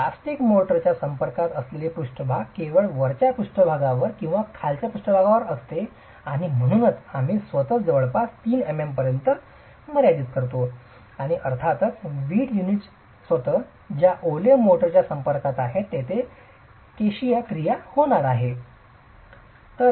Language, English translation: Marathi, The surface that is in contact with plastic motor is only that top surface or the bottom surface and that's why we are restricting ourselves to about 3 m m and of course there is going to be capillary action with the wet motor that is in contact with the brick unit itself